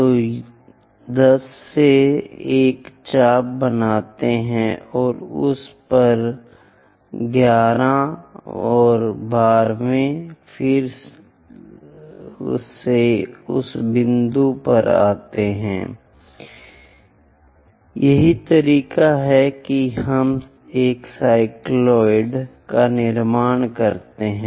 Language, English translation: Hindi, So, from 10 make an arc and 11th one on that and 12th again comes to that point, this is the way we construct a cycloid